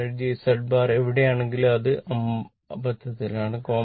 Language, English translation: Malayalam, Wherever Z bar I have written, it is by mistake